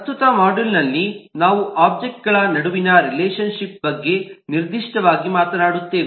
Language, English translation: Kannada, in the current module we will talk specifically about relationship between objects